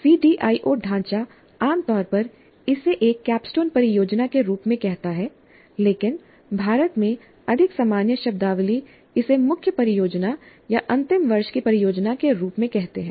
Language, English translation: Hindi, The CDIO framework generally calls this as a capstone project, but in India the more common terminology is to simply call it as the main project or final year project